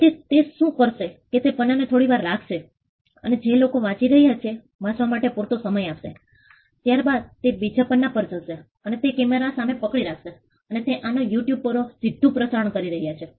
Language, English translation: Gujarati, So, what he is doing is he is just holding a page and giving sufficient time for people to read the page, then he is moving to the next page and he is just holding it in front of a camera and he is life streaming this on you tube